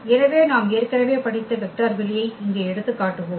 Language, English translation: Tamil, So, let us take the example here the vector space R n which we have already studied